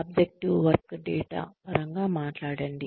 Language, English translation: Telugu, Talk, in terms of, objective work data